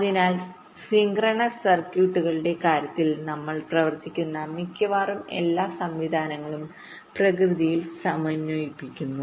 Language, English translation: Malayalam, so almost all the systems that we talk about in terms of synchronise circuits are synchronise in nature